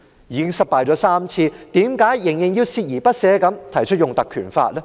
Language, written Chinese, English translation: Cantonese, 已經失敗了3次，為何仍然鍥而不捨地提出引用《條例》呢？, We have failed three times why are we so persistent in proposing to invoke PP Ordinance?